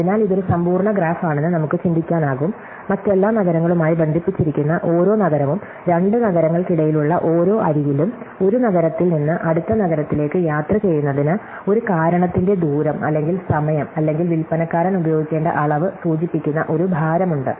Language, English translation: Malayalam, So, we can think of it is a complete graph, every city connected to every other city and on each edge between two cities, there is a weight indicating the distance or the cost or the time or some quantity which the salesman has to use up in order to travel from the one city to next city